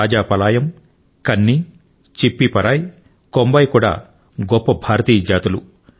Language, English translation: Telugu, Rajapalayam, Kanni, Chippiparai and Kombai are fabulous Indian breeds